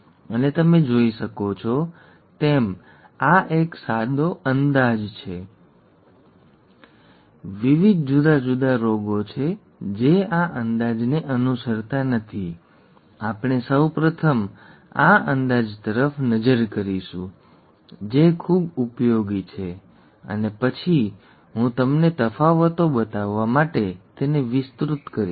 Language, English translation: Gujarati, And as you can see, this is a simple approximation, there are various different diseases that do not follow this approximation, we will first look at this approximation which is very useful and then I will extend that to show you the differences